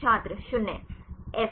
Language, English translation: Hindi, This is 0